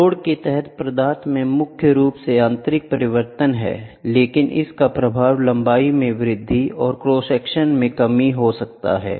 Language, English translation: Hindi, The main reason is an intrinsic change in the material while under load, but part of the effect is in the increase in length and decrease in the reduction of cross section